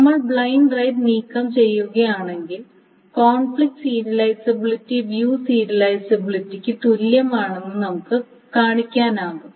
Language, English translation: Malayalam, Now if one removes the blind rights, one can show that actually it can be shown that this conflict serializability is equivalent to view serializability